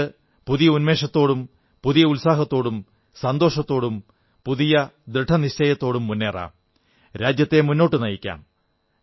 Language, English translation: Malayalam, Let us move forward with all renewed zeal, enthusiasm, fervor and new resolve